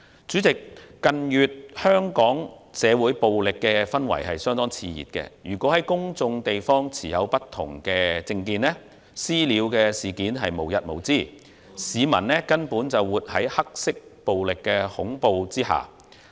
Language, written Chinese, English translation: Cantonese, 主席，近月香港社會暴力氛圍相當熾熱，公眾地方持不同政見人士的"私了"事件無日無之，市民根本是活在黑色暴力恐懼之下。, President violent atmosphere has been brewing in Hong Kong in recent months and there were incessant vigilante attacks in public places against people with different political views . Hong Kong people are actually living in the fear of black violence